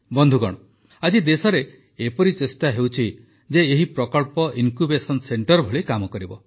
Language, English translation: Odia, Friends, today an attempt is being made in the country to ensure that these projects work as Incubation centers